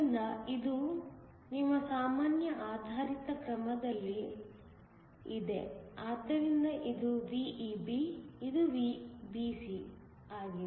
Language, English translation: Kannada, So, this is in your common based mode, so that this is VEB; this is VBC